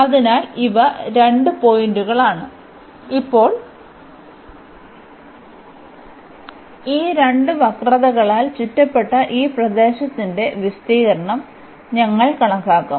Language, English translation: Malayalam, So, these are the two points and now we will compute the area of this region enclosed by these two curves